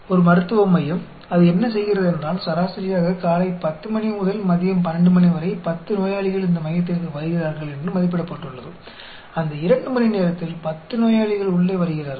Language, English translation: Tamil, So, a medical center, what it does is, it estimated that, on an average, there are 10 patients visiting the center between 10 am and 12 pm; in that 2 hours, 10 patients come in